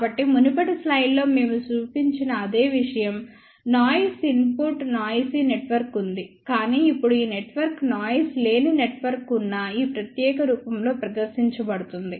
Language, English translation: Telugu, So, the same thing which we had shown in the previous slide; there was a noise input noisy network, but now this can be presented in this particular form where this network is noiseless network